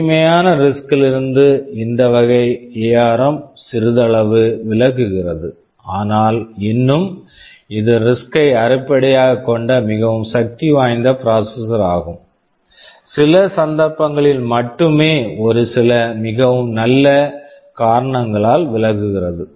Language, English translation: Tamil, Because of these so ARM has deviated slightly from the pure RISC you can say category, but still it is a fairly powerful processor mostly based on riscRISC, only for a few cases it deviates because of very good reasons of course